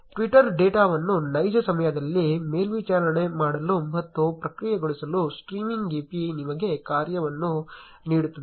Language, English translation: Kannada, The streaming API gives you the functionality to monitor and process twitter data in real time